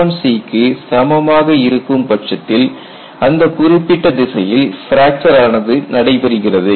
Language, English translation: Tamil, If it is equal to K1 c then fracture would occur in that particular direction